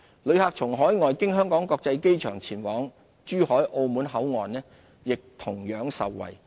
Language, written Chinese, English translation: Cantonese, 旅客從海外經香港國際機場前往珠海、澳門口岸亦同樣受惠。, Overseas passengers travelling to Zhuhai and Macao via HKIA may also benefit from the service